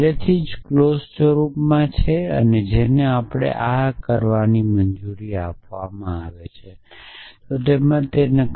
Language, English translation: Gujarati, So, this is already in clause form all we need do is to convert this into take it is negation